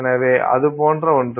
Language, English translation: Tamil, So, something like that